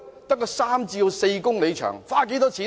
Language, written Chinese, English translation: Cantonese, 只是三四公里，花了多少錢呢？, Only 3 km to 4 km long . How much money will be spent?